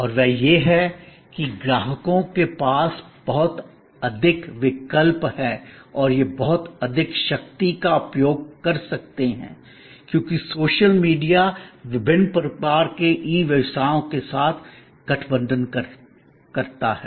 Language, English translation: Hindi, And that is that customers have lot more choices and they can exercise lot more power, because of the social media combine with different types of e businesses